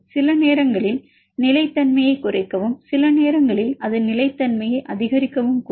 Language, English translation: Tamil, Sometimes give me decrease the stability and sometimes it may increases the stability